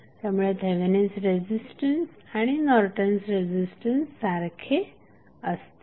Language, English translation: Marathi, So, Norton's resistance and Thevenin resistance would be same